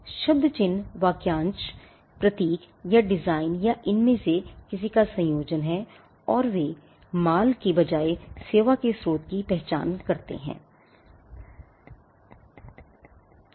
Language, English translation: Hindi, Service marks are word phrase symbol or design or combination of any of these and they are used to identify and distinguish the source of a service rather than goods